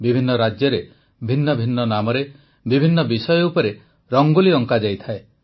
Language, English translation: Odia, Rangoli is drawn in different states with different names and on different themes